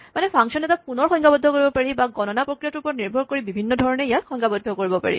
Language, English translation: Assamese, So, as you go along, a function can be redefined, or it can be defined in different ways depending on how the computation proceeds